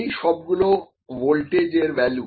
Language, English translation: Bengali, This is this is the voltage